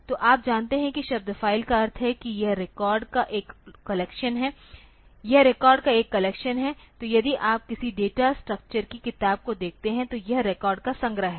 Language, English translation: Hindi, So, you know that the term file is a the term file means it is a collection of records it is a collection of records so, if you look into any the data structure book so, it is collection of records